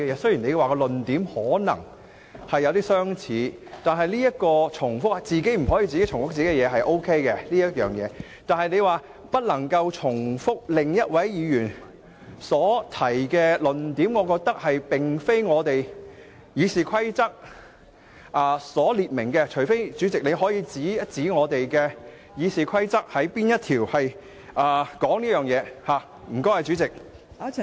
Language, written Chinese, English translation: Cantonese, 雖然你說論點可能有相似——對於不能重複自己的論點，我認為是可以，但對於你指不能重複另一位議員所提出的論點，我認為這並非《議事規則》的規定，除非代理主席可以指出是哪一項《議事規則》有這規定，多謝代理主席。, According to you the arguments may be similar―while I consider it alright for you Deputy President to require us not to repeat our own arguments I do not consider your instruction requiring us not to repeat other Members arguments a provision of RoP unless you can specify which rule . Thank you Deputy President